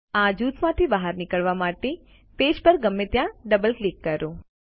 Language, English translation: Gujarati, Double click anywhere on the page to exit group